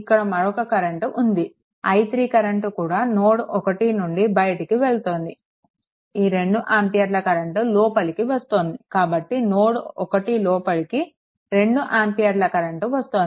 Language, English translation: Telugu, So, another current is also there this current is leaving this current is i 3 and this 2 ampere current entering actually